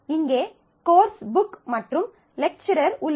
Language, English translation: Tamil, So, here is course book and lecturer ah